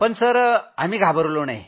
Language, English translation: Marathi, But we didn't fear